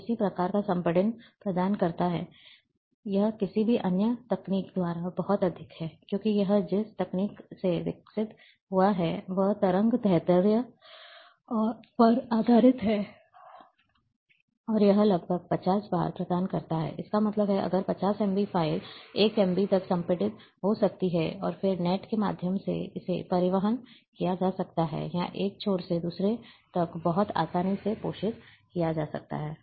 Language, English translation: Hindi, The, what kind of compression it provides is very high, unparallel by any other technique, because the technique which they have developed, is a based on wavelength and it provides about 50 times; that means, if 50 m b file, can be compressed to 1 MB, and then, it can, through net, it can be transported, or transmitted from one end to another, very easily